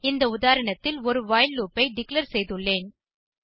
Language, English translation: Tamil, I have declared a while loop in this example